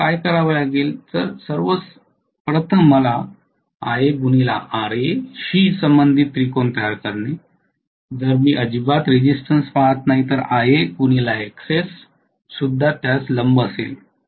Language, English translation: Marathi, So what I need to do is, to first of all construct a triangle corresponding to Ia Ra if at all I am looking at resistance also perpendicular to that will be Ia Xs